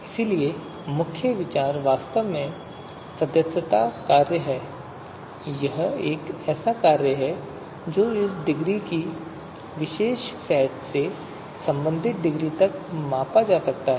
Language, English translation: Hindi, So therefore, the main idea is actually the membership function, a function which can quantify this degree you know to degree of belonging to a particular set